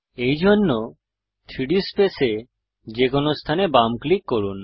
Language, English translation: Bengali, To do this, left click at any location in the 3D space